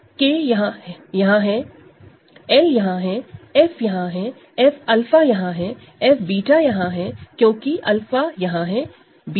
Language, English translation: Hindi, K is here, L is here, F is here, F alpha is here, F beta is here right, because alpha is here, beta is here